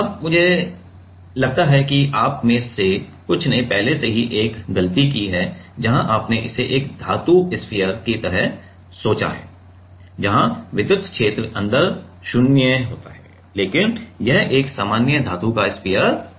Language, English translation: Hindi, Now, I suppose some of you I have already like a done a mistake where you have thought about it like a metallic sphere, where the electric field is 0 inside, but this is not a usual metallic spear